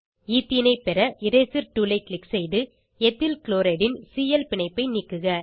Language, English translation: Tamil, To obtain Ethene, click on Eraser tool and delete Cl bond of Ethyl chloride